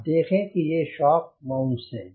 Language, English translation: Hindi, these are the shock mounts